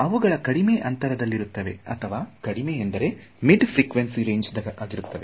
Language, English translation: Kannada, So, they are short range relative to at least the mid frequency range